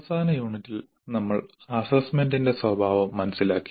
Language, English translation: Malayalam, In the last unit we understood the nature of assessment